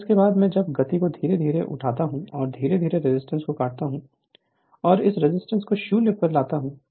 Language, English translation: Hindi, Now after that I when speed is pick up slowly and slowly cut the resistance and bring this resistance to 0